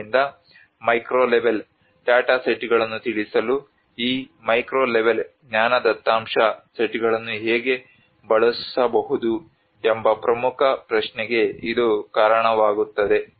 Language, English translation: Kannada, So there is all this actually leads towards an important question of how to use this macro level knowledge data sets to inform the micro level data sets